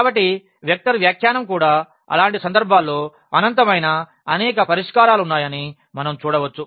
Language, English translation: Telugu, So, from the vector interpretation as well we can see that there are infinitely many solutions in such cases